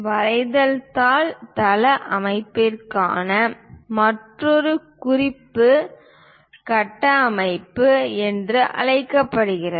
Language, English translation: Tamil, The other one for a drawing sheet layout is called reference grid system